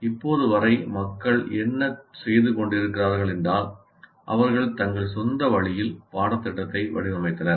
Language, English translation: Tamil, Till now what people have been doing is they are designing the course in their own way